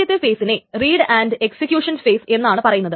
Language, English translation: Malayalam, The first phase is called the read and execution phase